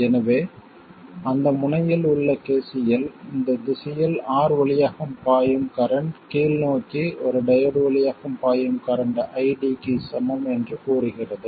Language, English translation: Tamil, So, KCL at that node says that the current flowing through R in this direction equals ID which is current flowing through the diode in the downward direction